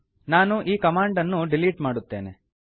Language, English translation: Kannada, Let me delete these commands